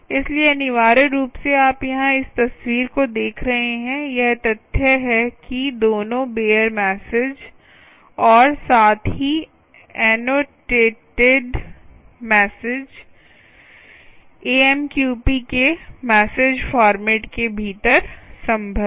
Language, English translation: Hindi, so, essentially, what you see here in this picture is the fact that both bare message as well as annotated message are possible within the message ah format of amqp